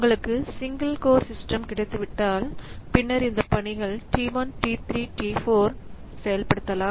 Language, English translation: Tamil, So, if you have got a single core system, then these tasks T1, T2, T3 and T4